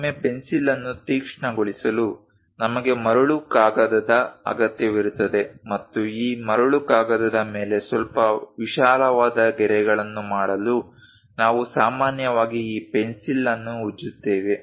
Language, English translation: Kannada, To sharpen the pencil sometimes, we require sand paper and also to make it bit wider kind of lines on this sand paper, we usually rub this pencil